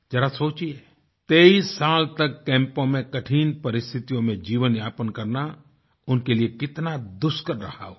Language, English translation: Hindi, Just imagine, how difficult it must have been for them to live 23 long years in trying circumstances in camps